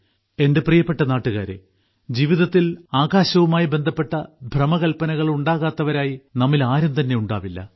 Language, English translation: Malayalam, My dear countrymen, there is hardly any of us who, in one's life, has not had fantasies pertaining to the sky